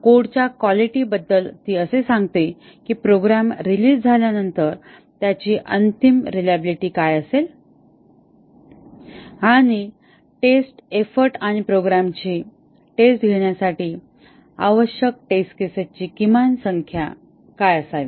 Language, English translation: Marathi, It tells us about the quality of the code what will be the final reliability of the program that once it is released and the testing effort and the minimum number of test cases required to test the program